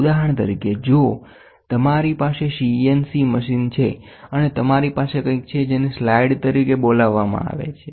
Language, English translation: Gujarati, For example, if you have a CNC machine and you have something called as a slide